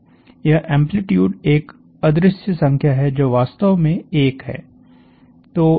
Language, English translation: Hindi, The amplitude is this number which is kind of invisible; it is actually 1